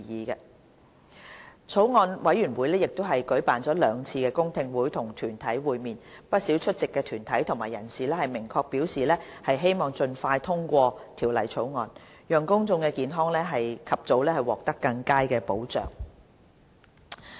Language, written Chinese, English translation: Cantonese, 法案委員會亦舉辦了兩次公聽會與團體會面，不少出席的團體和人士明確表示希望盡快通過《條例草案》，讓公眾健康及早獲得更佳保障。, The Bills Committee has held two public hearings to meet with deputations . Quite many attending deputations and individuals clearly expressed their hope that the Bill could be passed expeditiously to ensure better protection for public health early